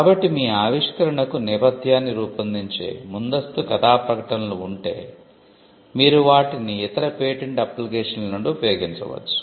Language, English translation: Telugu, So, if there are prior art disclosures which forms a background for your invention, you could just use them from other patent applications, provided you give the references to it